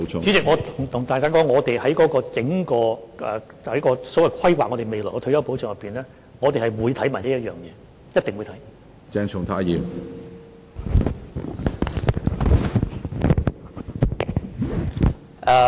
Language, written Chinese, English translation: Cantonese, 主席，我跟大家說，我們在整體規劃未來退休保障的過程中，會同時研究這一點，一定會看。, President I can tell Members that in the process of carrying out comprehensive planning on future retirement protection this point will be examined at the same time